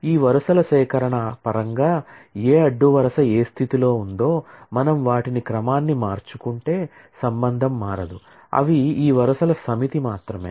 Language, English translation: Telugu, So, it does not really matter that in terms of this collection of rows, which row is at what position, if I reorder them, the relation does not change it is just that they are a collection of this set of rows